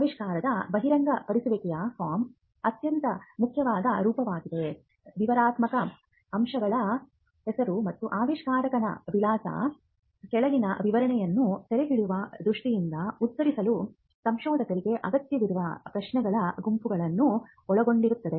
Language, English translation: Kannada, The most important form is the invention disclosure form the IDF comprises of a set of questions required by inventors to answer with a view to capture the following the description of the invention its normal and inventive aspects name and address of the inventor